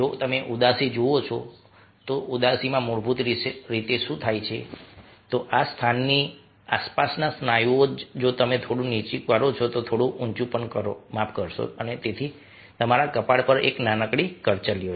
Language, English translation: Gujarati, if you look at sadness in sadness, what basically happens is that only the muscles around this place, looking at lower a little bit, a get raised a little bit, i am sorry, and hence you have a small wrinkle over the forehead